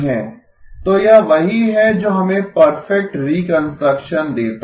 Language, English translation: Hindi, So this is what gives us perfect reconstruction